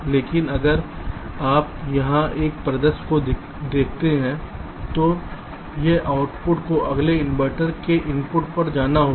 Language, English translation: Hindi, so this output has to go to the input of the next inverter